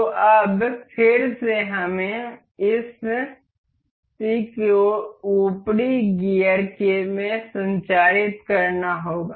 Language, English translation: Hindi, So, now again we have to transmit this power to the upper gear